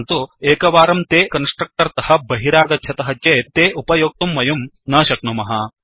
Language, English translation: Sanskrit, But once they come out of the constructor, it is not accessible